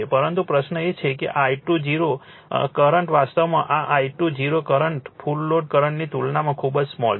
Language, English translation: Gujarati, But question is that this I 0 current actually this I 0 current is very small compared to the full load current, right